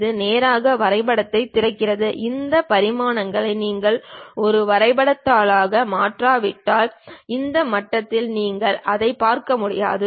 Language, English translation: Tamil, It straight away opens the drawing and these dimensions you may not see it at this level, unless we convert this entire thing into a drawing sheet